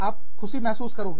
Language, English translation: Hindi, You will feel happy